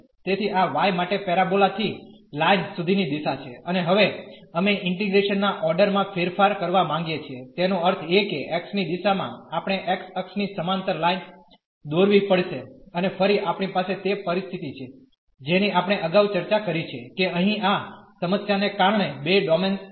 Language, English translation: Gujarati, So, this is the direction for the y from the parabola to the line, and now we want to change the order of integration; that means, in the direction of x we have to draw the draw a line parallel to the x axis and again we have that situation which we have discussed earlier, that there will be 2 domains because of this problem here